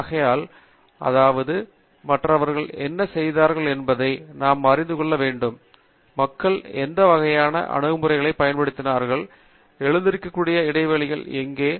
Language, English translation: Tamil, So, we must use approaches that are going beyond what others have done till now; which means that we must know what others have used; what kind of approaches people have used; where are the gaps that have come up; and, where is it that we can contribute